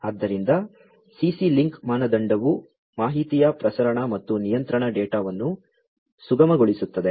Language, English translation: Kannada, So, CC link standard facilitates transmission of information and control data